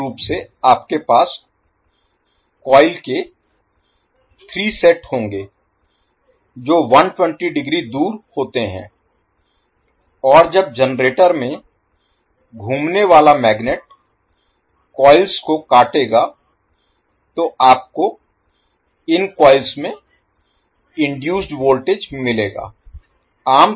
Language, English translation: Hindi, So, basically you will have 3 sets of coils which are 120 degree apart and when the magnet which is rotating in the generator will cut the coils you will get the voltage induced in these coils